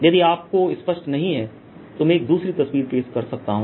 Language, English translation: Hindi, if you cannot, then i'll give you also another picture here